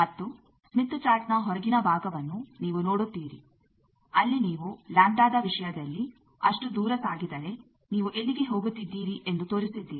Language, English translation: Kannada, And you will see that the outer most portion of the smith chart there you have shown that if you move by so and so distance in terms of lambda then where you are going